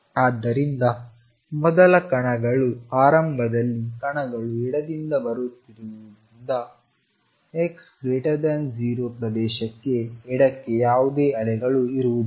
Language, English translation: Kannada, So, first observation since initially the particles are coming from the left there will be no waves going to the left for x greater than 0 region